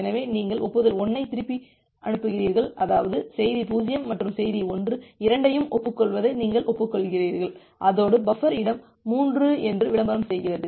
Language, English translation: Tamil, So, once you are sending back acknowledgement 1; that means, you are acknowledge acknowledging both message 0 and message 1 along with that it is advertising that the buffer space is 3